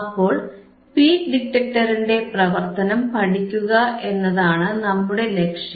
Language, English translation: Malayalam, So, to study the work the study the working of peak detector, that is our aim right